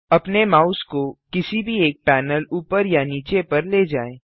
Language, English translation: Hindi, Move your mouse over any one panel top or bottom